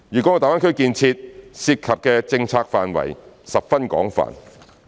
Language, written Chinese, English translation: Cantonese, 大灣區建設涉及的政策範疇十分廣泛。, The development of GBA involves a wide range of policy areas